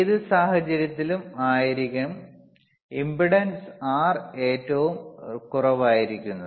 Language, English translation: Malayalam, c Iin thatwhich case, the impedance R would be minimum